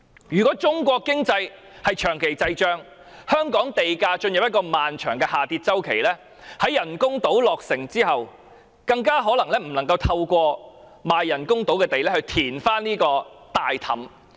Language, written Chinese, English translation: Cantonese, 如果中國經濟長期滯脹，以致香港地價進入漫長下跌周期的話，在人工島落成後，可能無法透過人工島賣地收入填補這個黑洞。, If China enters into stagflation for an extended period resulting in a prolonged cycle of falling land prices in Hong Kong we might not be able to fill the financial black hole with revenues generated from the sale of reclaimed land on the artificial islands upon their completion